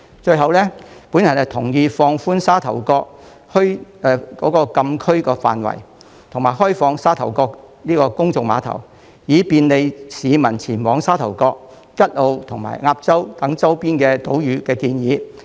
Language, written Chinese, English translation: Cantonese, 最後，我同意有關放寬沙頭角墟禁區範圍，以及開放沙頭角公眾碼頭，以便利市民前往沙頭角、吉澳及鴨洲等周邊島嶼的建議。, As a final note I concur with the proposal to relax the frontier closed area restriction of Sha Tau Kok Town and open up the Sha Tau Kok public pier to facilitate public access to Sha Tau Kok and peripheral islands such as Kat O and Ap Chau